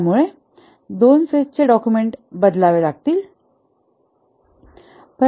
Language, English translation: Marathi, Only two phase documents need to be changed